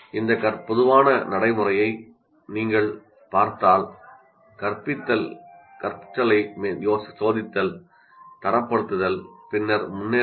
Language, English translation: Tamil, If you look at this common practice is to teach, test the learning, grade it and then move on